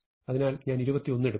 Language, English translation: Malayalam, So, I will look at 21